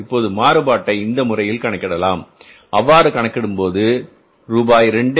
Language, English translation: Tamil, If you calculate this variance this way way this will work out as something like say rupees 2